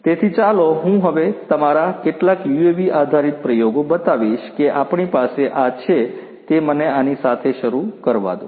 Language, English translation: Gujarati, So, let me now show you know some of our UAV based experiments that we have this is let me start with this one